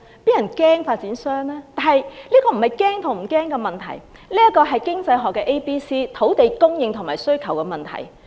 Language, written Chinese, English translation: Cantonese, 這並非怕與不怕的問題，而是經濟學上土地供應和需求問題。, This is not a question of fear or not fear but an economics problem of supply of and demand for land